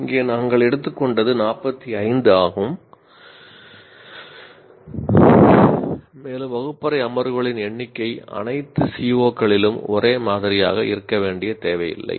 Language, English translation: Tamil, Here as we said we took it is 45 and also the number of classroom sessions are not necessarily uniform across all COs